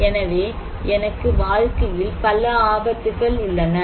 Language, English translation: Tamil, So, I have so many risks in life